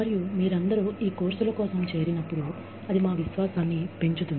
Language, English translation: Telugu, And, when you all, enrolled for these courses, that boosts our confidence